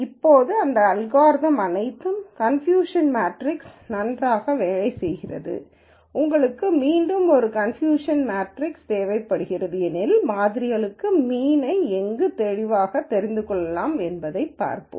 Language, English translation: Tamil, Now, this algorithm works very well for all distance matrix you again need a distance metric as we will see where we can clearly de ne a mean for the samples